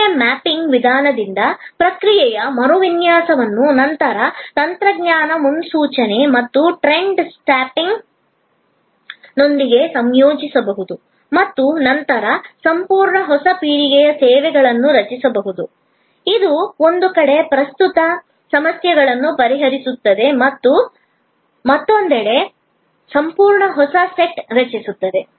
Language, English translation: Kannada, The process redesign by the method of process mapping can be then integrated with also technology forecasting and trends spotting and a complete new generation of services can then be created, which on one hand will address the current problems and on the other hand, it will create a complete new set